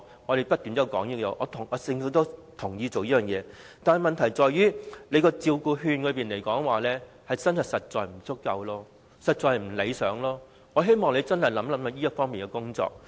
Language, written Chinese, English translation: Cantonese, 我們不斷提出這項要求，政府亦同意推行，但問題在於照顧服務券的數量實在不足夠，情況不理想，我希望政府能認真考慮這方面的工作。, We have kept pursuing such a request and the Government has also agreed to implement it . But the problem lies in the insufficient amount of care service vouchers . It is undesirable and I hope the Government can seriously consider efforts to be made in this aspect